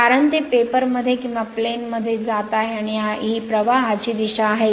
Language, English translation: Marathi, Because it is going into the paper right or in to the plane and this is the direction of the flux